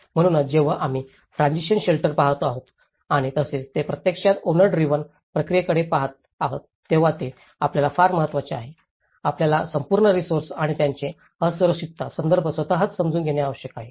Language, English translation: Marathi, So, this is very important when we are looking at the transitional shelter and as well as when they are actually looking at the owner driven process, you need to understand the whole resources and their vulnerability context itself